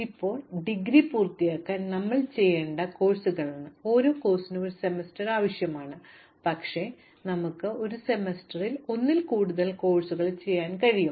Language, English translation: Malayalam, Now, these are courses that we have to do to may be complete the degree, every course requires a semester, but we can do more than one course in a semester